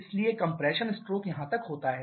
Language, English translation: Hindi, So, the compression stroke is spanning over this